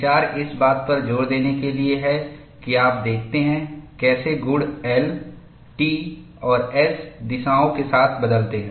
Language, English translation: Hindi, The idea is to emphasize that you look at, how the properties change along the L, T and S directions